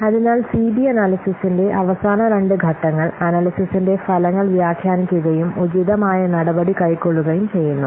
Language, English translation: Malayalam, So the last two steps of CB analysis are interpret the results of the analysis and then take appropriate action